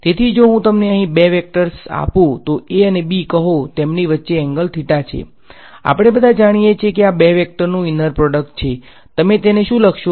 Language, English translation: Gujarati, So, if I give you two vectors over here say a and b with some angle theta between them ,we all know the inner product of these two vectors is; what would you write it as